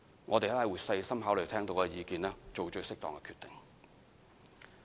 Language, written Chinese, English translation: Cantonese, 我們會細心考慮聽到的意見，做最適當的決定。, We will carefully consider the comments we have received and make the most appropriate decision